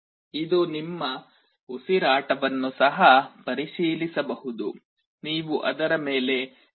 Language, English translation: Kannada, It can also check your breath; you can exhale on top of it